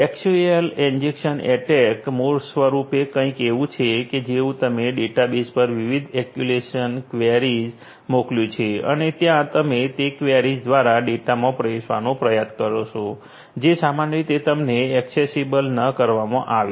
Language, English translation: Gujarati, SQL injection attack basically is something like you know you sent different SQL queries to the database and they are there by you try to get in through those queries to the data that normally should not be made you know accessible to you